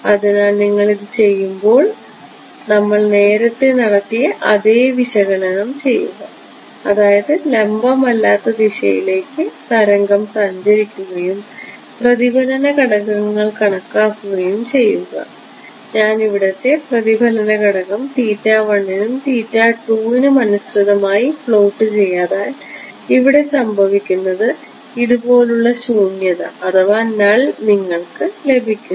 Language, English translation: Malayalam, So, if you put this put your do the same analysis that we did right toward I mean wave travelling at some non normal direction and calculate the reflection coefficients what you will find is that if I plot the reflection coefficient over here versus theta 1 and theta 2 are over here what happens is that you get nulls like this ok